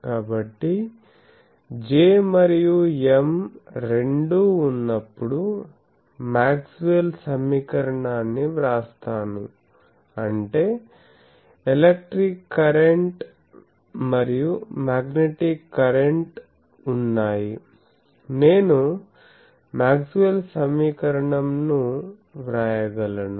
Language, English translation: Telugu, So, let me rewrite the Maxwell’s equation, when both J and M; that means, electric current and magnetic current are present I can write them Maxwell’s equation